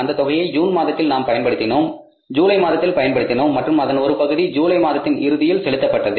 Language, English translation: Tamil, We used this money for the month of June for the month of July and part of the amount was paid in the month of July at the end of July